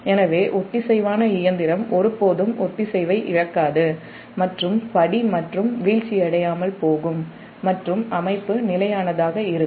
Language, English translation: Tamil, so synchronous machine will never lose synchronism and will or not fall out of step and system will remain stable